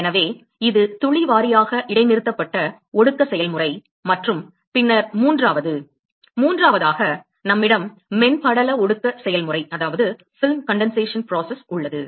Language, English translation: Tamil, So, this is the drop wise suspended condensation process and then the third one; third one is where we have film condensation process